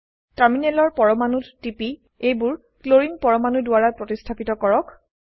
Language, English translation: Assamese, Click on the terminal atoms to replace them with Clorine atoms